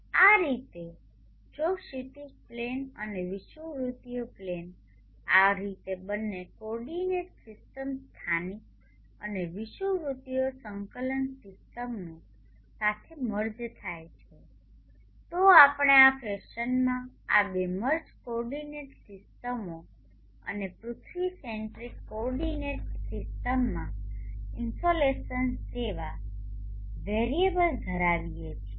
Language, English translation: Gujarati, In this way if the horizon plane and equatorial plane are merged like this with the two coordinate systems local and equatorial coordinate systems merged together we have this two merged coordinate systems in this fashion and the variables like the insulations in the earth centric coordinate system and the local centric coordinate systems can be related by this angle